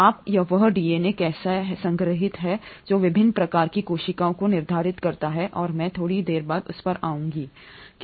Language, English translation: Hindi, Now, how that DNA is stored is what determines different types of cells and I will come to that a little later